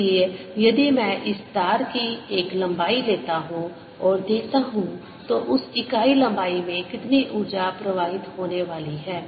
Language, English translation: Hindi, so if i take a unit length of this wire and see how much energy is flowing into that unit length is going to be so energy flowing in per unit length